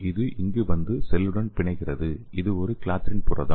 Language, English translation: Tamil, So it is coming and binding to the cell and this is a clathrin protein